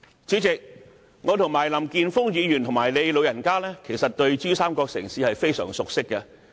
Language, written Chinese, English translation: Cantonese, 主席，其實我和林健鋒議員，以及你"老人家"，都非常熟悉珠三角城市。, President actually Mr Jeffrey LAM and I and also your goodself are very familiar with cities in the Pearl River Delta PRD